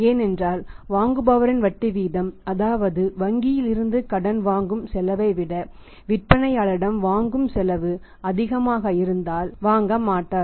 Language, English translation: Tamil, Because buyer would not like to buy at interest rate when his say a borrowing cost from the bank is lesser than the borrowing cost which is used by the seller to load the credit sales is more